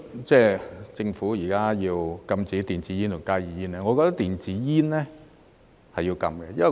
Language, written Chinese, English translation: Cantonese, 政府現時要禁止電子煙及加熱煙，我覺得電子煙是要禁的。, Now the Government is going to ban electronic cigarettes and heated tobacco products HTPs . I think e - cigarettes should be banned